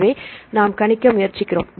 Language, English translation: Tamil, So, we try to predict